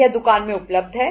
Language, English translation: Hindi, It is available in the shop